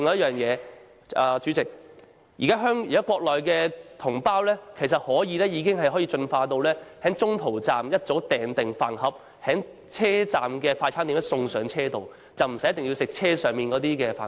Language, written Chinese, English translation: Cantonese, 此外，主席，現時國內高鐵乘客已能夠在沿途各站預早訂購飯盒，車站快餐店員工會把飯盒送到車上，乘客無需要吃車上出售的飯盒。, Furthermore President HSR passengers can now order meal boxes from the fast food restaurants at various stations en route in advance and the meal boxes will be delivered to them on the train by the staff of the respective restaurants . The passengers thus do not need to eat only the food purchased on the train